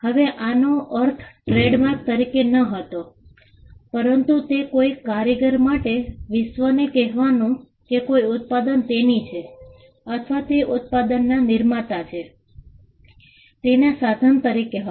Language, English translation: Gujarati, Now, again this was meant not as a trademark, but it was meant as a means for a craftsman to tell the world that a product belongs to him or he was the creator of the product